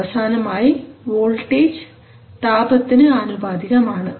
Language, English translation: Malayalam, So finally the voltage is proportional to the temperature